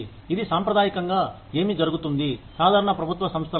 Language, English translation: Telugu, That is traditionally, what happens in typical government organizations